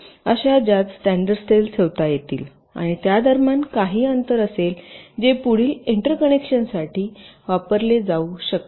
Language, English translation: Marathi, ok, there will be number of rows in which the standard cells can be placed and there will be some space in between which can be used further interconnections